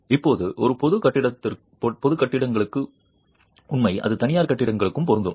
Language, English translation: Tamil, Now, that's true for public buildings and that's true for private buildings